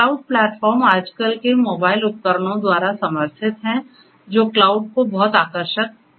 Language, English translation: Hindi, Cloud platforms are supported by the present day mobile devices that also makes cloud very attractive